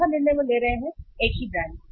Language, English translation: Hindi, Fourth decision they take is substitute same brands